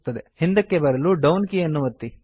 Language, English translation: Kannada, To go back press the down key